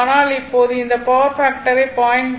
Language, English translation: Tamil, 8 but now we want to that power factor to 0